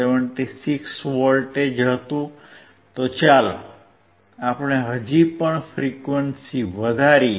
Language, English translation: Gujarati, 76V so, let us still increase the frequency